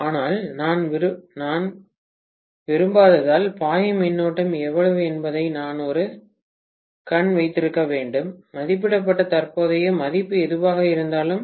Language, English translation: Tamil, But, I have to keep an eye on how much is the current that is flowing because I do not want to exceed whatever is the rated current value